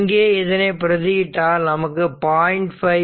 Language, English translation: Tamil, So, if you do so then you will get 0